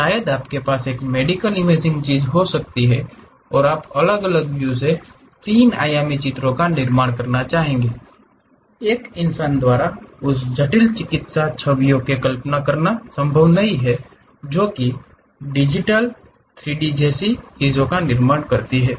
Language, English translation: Hindi, Perhaps you might be having a medical imaging thing and you would like to construct 3 dimensional pictures from different views, is not possible by a human being to really visualize that complicated medical images to construct something like 3D